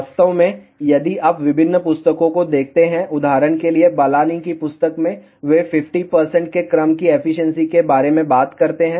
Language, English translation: Hindi, In fact, if you look at different books, for example in the Balanis book, they talk about efficiency of the order of 50 percent